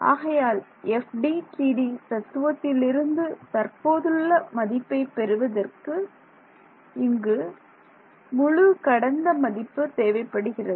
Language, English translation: Tamil, So, from the FDTD philosophy, I have let us say present and this whole thing is past